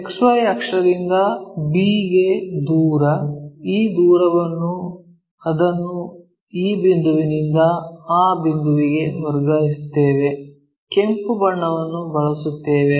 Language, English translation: Kannada, From XY axis, this is the one from all the way to b this distance we will transfer it from this point to that point let us use some other color, red one